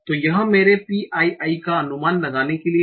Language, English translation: Hindi, So this is to estimate my pi